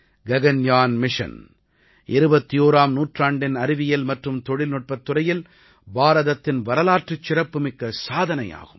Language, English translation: Tamil, Gaganyaan mission will be a historic achievement in the field of science and technology for India in the 21st century